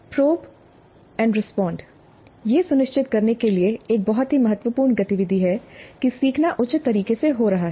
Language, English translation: Hindi, This is probe and respond is a very key activity to ensure that learning is happening in a proper fashion